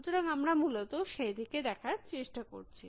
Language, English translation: Bengali, So, we are trying to look at that essentially